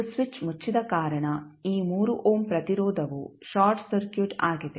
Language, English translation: Kannada, And since switch was closed this 3 ohm resistance is also short circuited